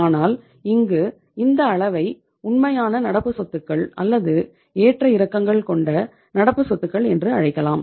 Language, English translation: Tamil, But here this level is called as the real current assets or the fluctuating current assets